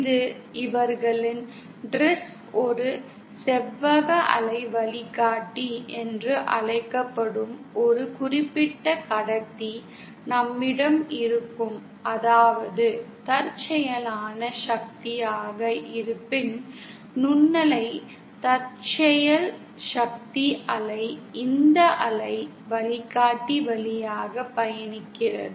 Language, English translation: Tamil, It can be say, we have their dress a certain conductor called a rectangular waveguide where if power is incident, microwave power is incident then the wave travels through this waveguide